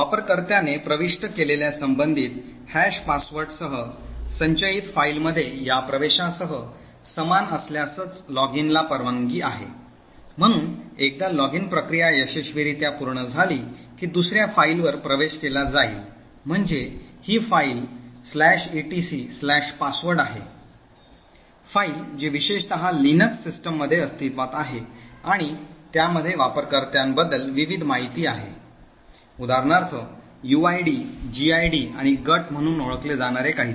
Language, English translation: Marathi, Login is permitted only if there is a match between this entry with in the stored file with the corresponding hashed password which the user enters, so once the login process successfully completes, what would happen is that another file is accessed, so this file is the /etc/password file which is present in the LINUX systems in particular and it contains various information about user, for example that is something known as the uid, gid and groups